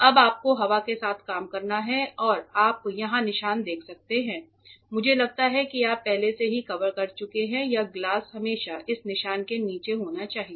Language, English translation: Hindi, Now you have to work with the air on and you can see the mark here with I think you have covered already this glass should always be at or below this mark ok